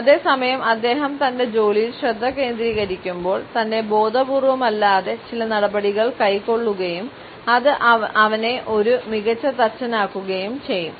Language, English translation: Malayalam, At the same time, while he is concentrating on his work he would also be taking certain steps in an unconscious manner which would make him an excellent carpenter